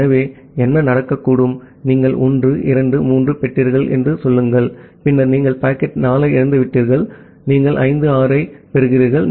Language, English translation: Tamil, So, what may happen, say you have received 1, 2, 3, then you have lost packet 4, and you are receiving 5, 6, 7